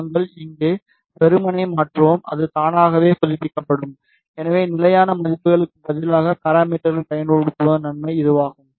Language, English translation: Tamil, We will simply change here, and it will automatically update, so that is the advantage of using the parameters instead of constant values